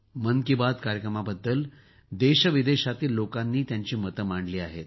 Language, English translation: Marathi, People from India and abroad have expressed their views on 'Mann Ki Baat'